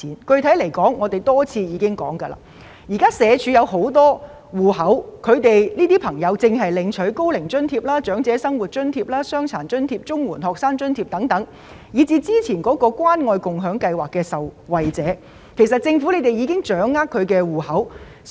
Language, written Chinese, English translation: Cantonese, 具體而言，我們已多次指出，社署擁有很多戶口，因為有些市民可能正在領取高齡津貼、長者生活津貼、傷殘津貼或綜援學生津貼等，甚至可能是早前關愛共享計劃的受惠者，所以政府已經掌握他們的戶口資料。, Specifically we have repeatedly pointed out that the Social Welfare Department has information on the accounts of people who receive Old Age Allowance Old Age Living Allowance Disability Allowance or grants for CSSA students etc . The Department has also the information of the beneficiaries under the Caring and Sharing Scheme